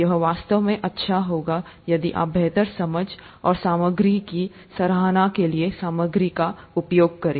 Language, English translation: Hindi, It will be really good if you can go through them for a better understanding, and appreciation of the material